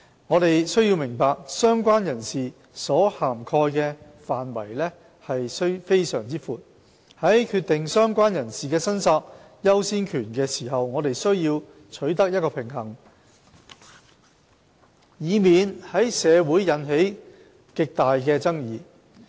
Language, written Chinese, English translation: Cantonese, 我們需要明白，"相關人士"所涵蓋的範圍非常廣闊，在決定"相關人士"的申索優先權時，我們需要取得一個平衡，以免在社會引起極大的爭議。, We should understand that related person covers an extensive scope hence in deciding the priority of claim of a related person a balance must be struck to pre - empt any controversy in society